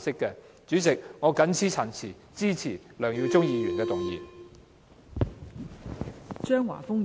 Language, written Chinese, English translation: Cantonese, 代理主席，我謹此陳辭，支持梁耀忠議員的議案。, With these remarks Deputy President I support Mr LEUNG Yiu - chungs motion